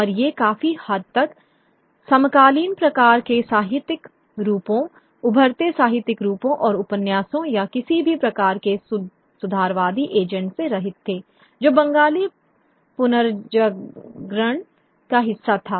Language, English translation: Hindi, And these were largely, by a large, devoid of the contemporary sort of literary forms, the emerging literary forms of the novels, or any sort of reformist agenda that was part of the Bengali dinosaur